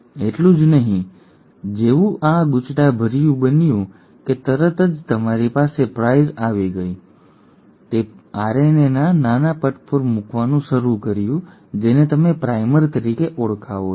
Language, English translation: Gujarati, Not only that, as soon as the uncoiling happened you had the primase come in; it started putting in small stretches of RNA which you call as the primer